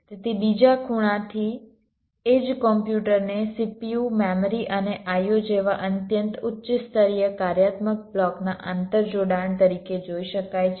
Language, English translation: Gujarati, so from another angle, the same computer can be viewed as an inter connection of very high level functional blocks like c